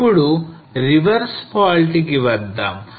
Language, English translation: Telugu, Now coming to the reverse fault